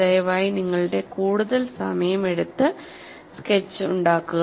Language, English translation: Malayalam, Please take your time, make a neat sketch